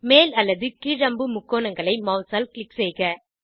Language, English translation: Tamil, Click on up or down arrow triangles with the mouse